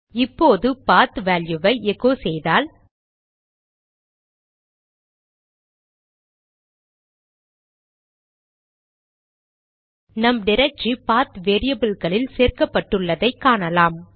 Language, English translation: Tamil, Now if we echo the value of PATH, our added directory will also be a part of the PATH variable